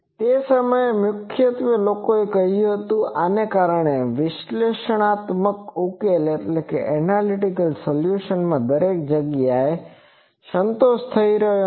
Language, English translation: Gujarati, That time mainly people said that due to these that everywhere it is not getting satisfied rather than analytical solution satisfied it everywhere